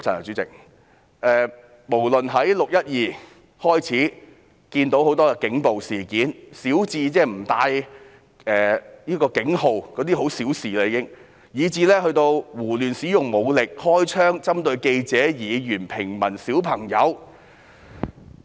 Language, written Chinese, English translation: Cantonese, 由"六一二"起，我們已經看到很多警暴事件，小至不展示警員編號——這已經是小事了——大至胡亂使用武力、開槍，以及針對記者、議員、平民和兒童。, Since 12 June we have seen many cases of police brutality ranging from not displaying their police identification numbers―this is already a trivial matter―to using force recklessly firing shots as well as targeting journalists Members civilians and children